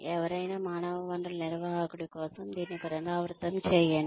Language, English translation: Telugu, Repeat this, for any human resources manager